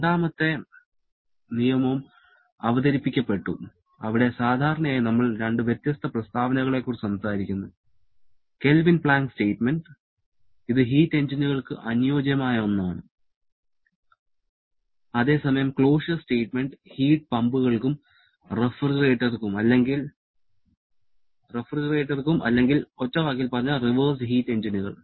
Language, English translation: Malayalam, The second law was also introduced where generally we talk about 2 different statements, the Kelvin Planck statement, which is the suitable one for heat engines whereas the Clausius statement which is a suitable one for heat pumps and refrigerators or in one word the reverse heat engines